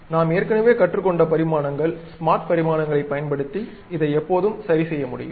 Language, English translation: Tamil, Dimensions we have already learned, using smart dimensions I can always adjust this